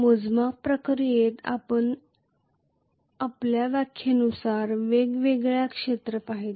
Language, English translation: Marathi, In the process of quantification we looked at different areas as per our definition